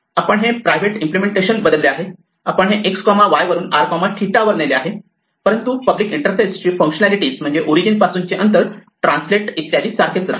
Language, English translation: Marathi, We have changed the private implementation, namely we have moved from x, y to r theta, but the functionality of the public interface the functions o distance translate etcetera remain exactly the same